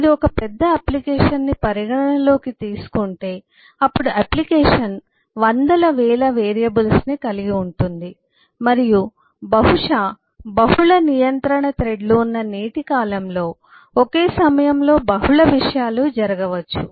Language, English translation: Telugu, but if you consider a large application, then the application will have 100s of 1000s of variables and possibly in today’s time, multiple threads of control